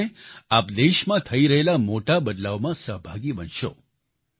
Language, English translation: Gujarati, This way, you will become stakeholders in major reforms underway in the country